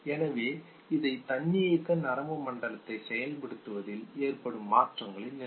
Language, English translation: Tamil, So these are no level of changes in the activation of the autonomic nervous system